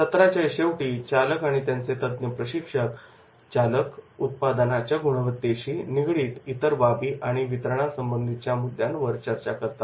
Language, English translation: Marathi, At the end of the session drivers and the mentor drivers discuss anything that might be interfering with the quality of the product or timelines of the delivery